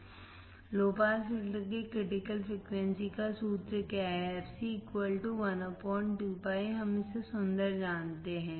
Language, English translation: Hindi, fc = 1 / What is the formula for the low pass filter for critical frequency fc equals to 1 upon 2 PIRC, we know it beautiful